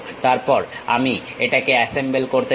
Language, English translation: Bengali, Then, I want to assemble it